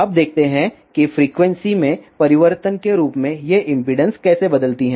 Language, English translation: Hindi, Now let us see how theseimpedances vary as frequency changes